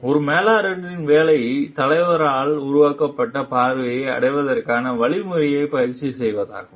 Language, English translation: Tamil, A managers job is to practice the means for achieving the vision created by the leader